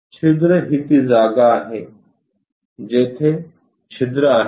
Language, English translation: Marathi, The holes this is the place where holes are located